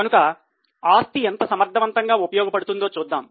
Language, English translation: Telugu, So, here we see how efficiently an asset being used